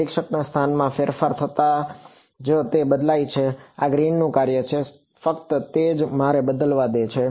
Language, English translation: Gujarati, The only thing that changes as the observer location changes is this Green’s function, that is all let you have to change